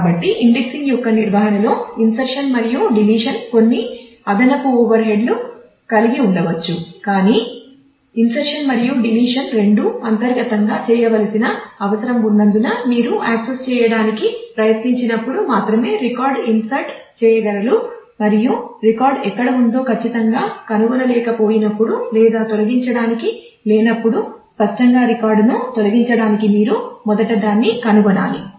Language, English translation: Telugu, So, in that maintenance of indexing whereas, insertion and deletion might have some additional overhead, but since insertion and deletion both inherently needs access to be done because you can insert only when you have tried to access and have not found exactly where the record should occur or for deletion; obviously, you need to first find the record to be able to delete it